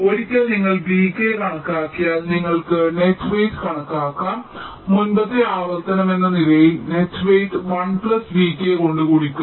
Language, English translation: Malayalam, dont dont use this plus one and once you calculate v k you can calculate the net weight as the previous iteration net weight multiplied by one plus v k